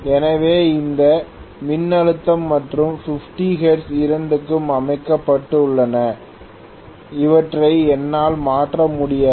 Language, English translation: Tamil, So this voltage and 50 hertz both are set in stone I cannot change them